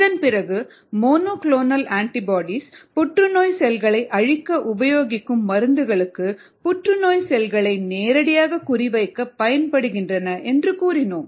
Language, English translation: Tamil, and then we said that monoclonal antibodies are used to target the drugs that kill cancerous cells more directly to the cancer cells